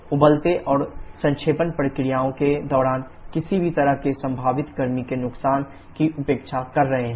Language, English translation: Hindi, And we are neglecting any kind of possible heat loss during the boiling and condensation processes